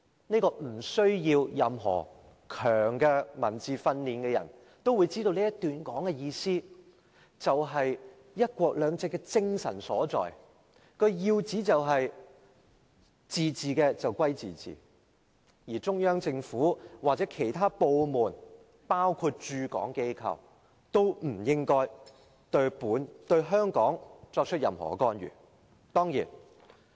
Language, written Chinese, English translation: Cantonese, "即使沒有較強文字功底的人也知道這段話的意思，這是"一國兩制"的精神所在，要旨就是自治歸自治，而中央政府或其任何部門，包括駐港機構，均不應對香港作出任何干預。, Even those who are not very proficient in language should understand the meaning of the provision . This is the spirit of one country two systems the gist of which is that autonomy is autonomy and the Central Government or any of its departments including its agencies in Hong Kong should not engage in any form of interference in Hong Kong